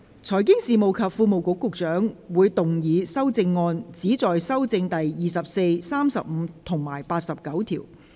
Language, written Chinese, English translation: Cantonese, 財經事務及庫務局局長會動議修正案，旨在修正第24、35及89條。, Secretary for Financial Services and the Treasury will move amendments which seek to amend Clauses 24 35 and 89